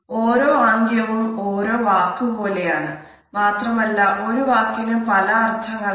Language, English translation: Malayalam, Each gesture is like a single word and as we know a word may have different meaning